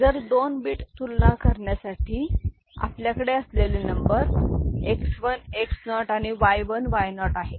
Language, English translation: Marathi, So, for 2 bit comparison then the number we are having is X 1 X naught and Y 1 Y naught